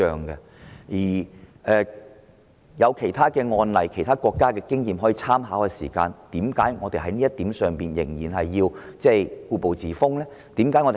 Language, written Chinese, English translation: Cantonese, 既然有其他案例和其他國家的經驗可作參考，為何要在這問題上故步自封呢？, When we can actually draw reference from other cases and the experience of other countries why should we adopt such a conservative approach in dealing with the matter?